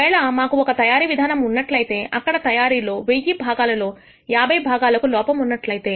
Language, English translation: Telugu, Suppose we have a manufacturing process where we actually have manufac tured 1,000 parts out of which 50 parts are defective